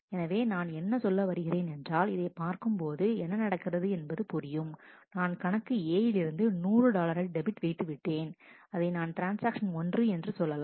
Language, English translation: Tamil, So, if I mean just this look at what has happened, it has I have debited 100 dollar from account A which was transaction 1, but and here I had started with 200 dollar